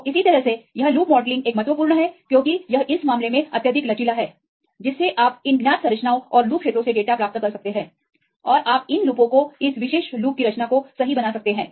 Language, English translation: Hindi, So, likewise this loop modelling is an important one because this is highly flexible right in this case you can get the data from these known structures and loop regions and you can make these loops right the conformation of this particular loops